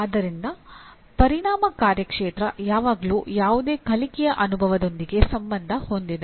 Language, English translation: Kannada, So affective domain is always associated with any learning experience